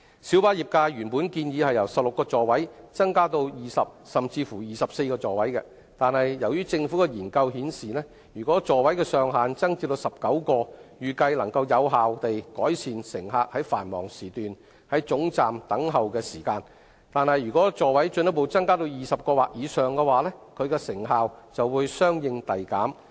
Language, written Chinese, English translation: Cantonese, 小巴業界原本建議由16個座位增至20個甚至24個座位，但由於政府的研究顯示，如果座位上限增至19個，預計能夠有效地改善乘客於繁忙時段在總站等候的時間，但如果座位進一步增加至20個或以上，其成效就會相應遞減。, The light bus trade originally proposed an increase from 16 seats to 20 or even 24 seats . However a study conducted by the Government indicated that if the maximum seating capacity is increased to 19 the waiting time of passengers at termini during peak periods is expected to be reduced effectively but in the event of a further increase to 20 seats or above the corresponding magnitude of the incremental improvements will diminish